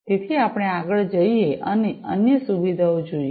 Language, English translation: Gujarati, So, we go next and look at the other features